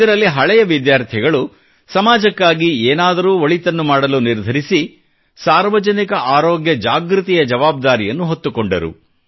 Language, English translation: Kannada, Under this, the former students resolved to do something for society and decided to shoulder responsibility in the area of Public Health Awareness